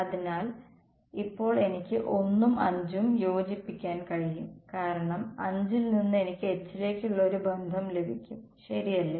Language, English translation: Malayalam, So, now I can combine 1 and 5 because from 5 I get a relation for H correct